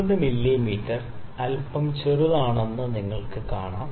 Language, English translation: Malayalam, 9 mm is a little smaller